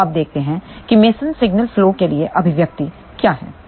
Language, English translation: Hindi, So, now, let us see what is the expression for Mason Signal Flow